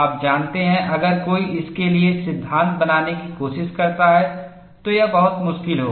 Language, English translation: Hindi, You know, if somebody tries to fit a law for this, it would be extremely difficult